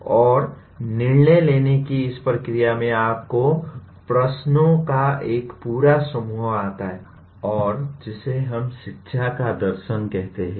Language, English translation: Hindi, And in this process of decision making you come across a whole bunch of questions and what we call it as “philosophy of education”